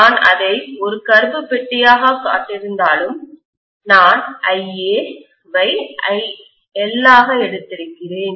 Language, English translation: Tamil, Although I have shown that as a black box, I have taken as though IA is IL